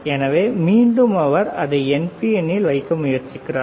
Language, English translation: Tamil, So, again he is trying to keep it NPN